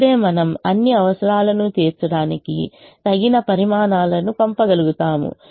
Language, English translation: Telugu, only then we will be able to send sufficient quantities to meet all the requirements